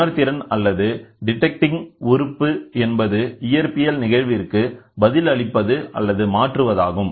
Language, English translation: Tamil, The sensing or detecting element; the function of the element is to respond to a physical phenomenon or a change in the physical phenomenon